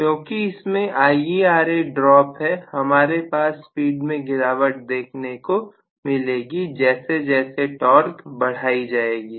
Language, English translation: Hindi, But because of the Ia R a drop, I am going to have a fall basically in the speed, as the torque is increased